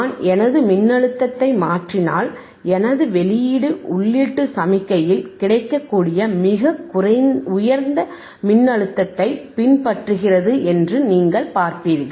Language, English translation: Tamil, , iIf I change my voltage, if I change my voltage, you see my output is following my output is following the highest voltage that is available in the input signal right